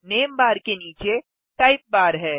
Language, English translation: Hindi, Below the name bar is the type bar